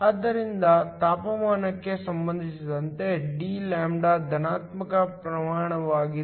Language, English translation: Kannada, So, dλ with respect to temperature is a positive quantity